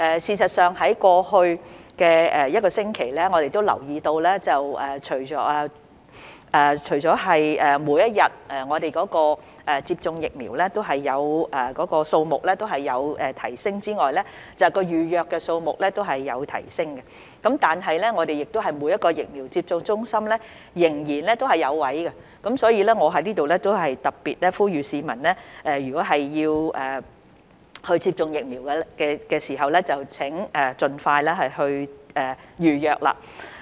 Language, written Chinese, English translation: Cantonese, 事實上，在過去一星期，我們留意到除了每天接種疫苗的數目有提升外，預約數目也有提升，但是，每間疫苗接種中心仍然有名額可供使用，所以我在這裏特別呼籲市民，如果要接種疫苗，請盡快預約。, In fact over the past week we have noticed that apart from an increase in the number of doses administered per day the number of bookings has also increased . However quotas are still available in each of the vaccination centres . Thus I will hereby particularly appeal to members of the public who intend to receive vaccination to make a booking as soon as possible